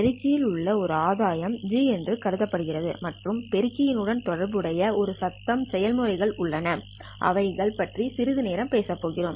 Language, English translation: Tamil, The amplifier is assumed to have a gain G and there are certain noise processes that are associated with the amplifier which we are anyway going to talk about it slightly later